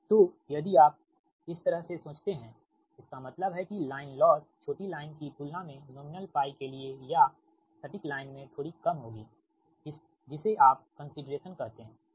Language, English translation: Hindi, if you think this way, that means that means line loss will be for the nominal pi or exact will be slightly less compared to the short line, comp[ared] short line, your what you call consideration, right